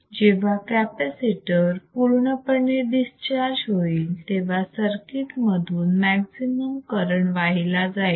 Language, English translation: Marathi, When the capacitor is fully discharged, the maximum current flows through the circuit correct